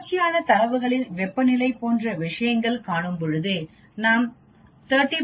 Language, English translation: Tamil, When we have things like in continuous data, when I am measuring temperature 30